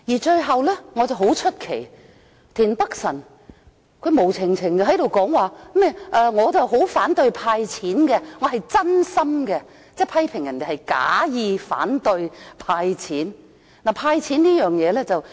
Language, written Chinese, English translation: Cantonese, 最後，我感到很奇怪，田北辰議員無故談到反對"派錢"，說自己是真心的，即批評別人假意反對"派錢"。, In conclusion I find it rather strange that Mr Michael TIEN talked about his opposition to cash handouts for no reason and said that he was genuine in doing so meaning he criticized others for untruthfully opposing cash handouts